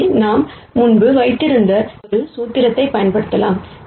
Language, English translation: Tamil, So, we can use a formula that we had before